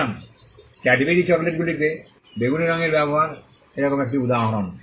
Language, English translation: Bengali, So, the use of purple in Cadbury chocolates is one such instance